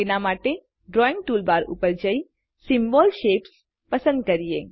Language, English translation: Gujarati, To do this, go to the drawing toolbar and select the Symbol Shapes